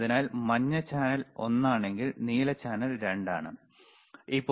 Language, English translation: Malayalam, So, if yellow is channel one and blue is channel 2 excellent